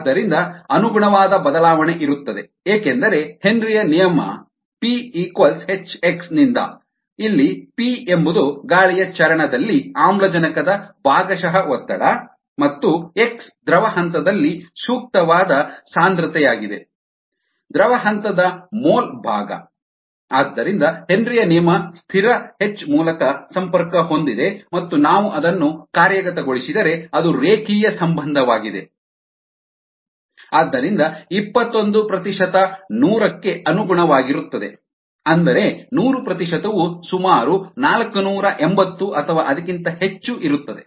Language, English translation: Kannada, because we know henrys law, p equal to h, x, where p is the ah partial pressure of oxygen in the air phase and x is the ah is the appropriate concentration in the liquid phase, ah, the mole fraction, is the liquid phase, ah, therefore the which is connected through the henrys law constant, and if we worked that out, that's ah